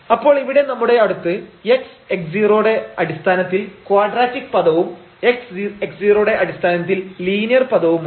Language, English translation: Malayalam, So, we have somehow the quadratic term in terms of x the difference x minus x naught and we have the linear term here in terms of x minus x naught